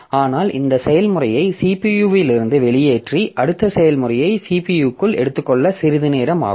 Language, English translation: Tamil, But in between what happens is that putting this process out of CPU and taking the next process into the CPU so that takes some time